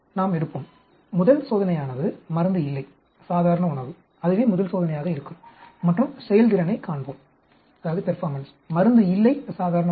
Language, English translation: Tamil, We will take, first experiment will be no drug, normal diet, that will the first experiment and see the performance; no drug, normal diet